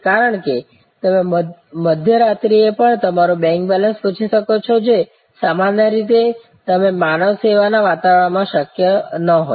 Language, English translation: Gujarati, Because, you can ask your bank balance even at mid night which normally you would not had been possible in the human service environment